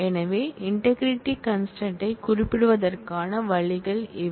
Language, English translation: Tamil, So, these are the ways to specify the integrity constraint